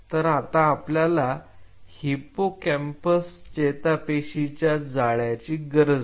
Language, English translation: Marathi, So, we needed a hippocampal neuronal network